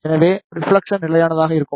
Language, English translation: Tamil, So, the reflection will be constant